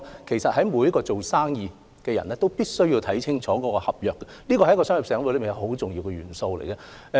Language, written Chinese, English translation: Cantonese, 其實每位做生意的人均須看清楚合約，這是商業活動的一個很重要元素。, As a matter of fact anyone who intends to do business must study the contract very carefully which is an essential part of a commercial activity